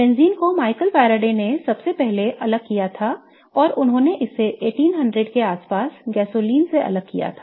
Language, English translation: Hindi, Benzine was really first isolated by Michael Faraday and he isolated it from gasoline around 1800s